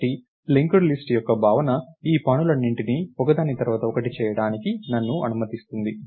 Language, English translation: Telugu, So, the notion of linked list allows me to do all these things one after the other